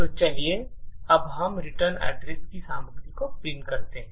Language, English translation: Hindi, So, let us now print the contents of the return